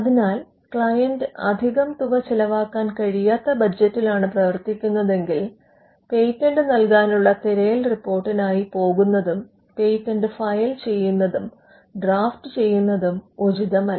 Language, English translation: Malayalam, So, if the client operates on a tight budget, then it would not be advisable to go in for patentability search report followed by the filing and drafting of a patent itself